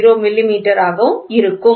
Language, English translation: Tamil, 0390 millimeter, ok